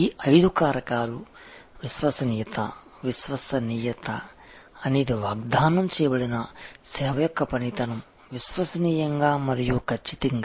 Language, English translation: Telugu, These five factors are a reliability, reliability is the performance of the promised service dependably and accurately